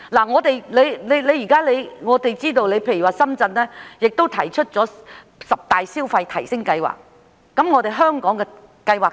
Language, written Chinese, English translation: Cantonese, 我們知道，深圳已提出十大消費提升計劃，我們香港又有何計劃呢？, While Shenzhen is known to have proposed 10 initiatives to boost consumption how about Hong Kong?